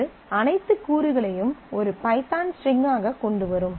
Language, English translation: Tamil, So, it will bring in as all the components as one as a python string